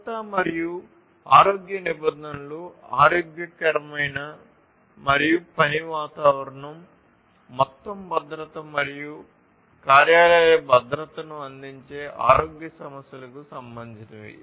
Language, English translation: Telugu, Safety and health regulations will concern the health issues providing healthy and working environment and also the overall safety, workplace safety, and so on